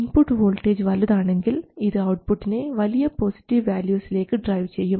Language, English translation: Malayalam, If VD is positive, the output will be driven to a large positive value